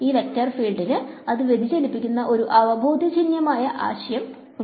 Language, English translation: Malayalam, So, again this vector field has an intuitive idea that it is diverging